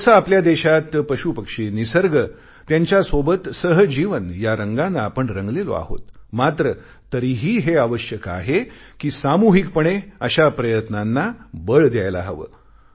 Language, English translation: Marathi, In our country, we are traditionally imbued with a sense of symbiotic coexistence with animals, birds and nature yet it is necessary that collective efforts in this regard should be emphasized